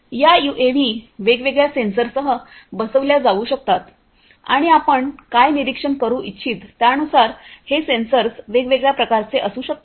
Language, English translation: Marathi, And, these UAVs could be fitted with different sensors and these sensors could be of different types depending on what you want to monitor well the UAV is on flight